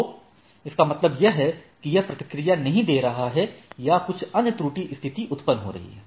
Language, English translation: Hindi, So that means it is it may not be responding or some other error situation arises